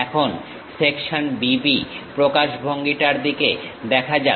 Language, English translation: Bengali, Now, let us look at section B B representation